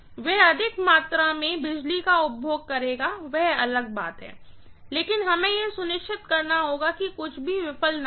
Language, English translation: Hindi, That will consume more amount of electricity, that is different, but I have to make sure that nothing fails, right